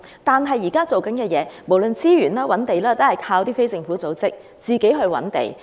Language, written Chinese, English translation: Cantonese, 可是，現時的做法，無論資源或覓地等，全靠非政府組織自行籌劃。, However under the current approach resources or identification of land sites etc . are all left to planning by non - government organizations